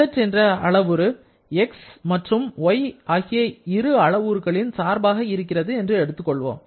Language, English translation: Tamil, Let us consider a parameter z which is a function of x and y